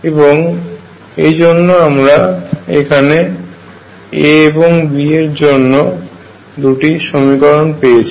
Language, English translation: Bengali, Therefore, again I get two equations for A and B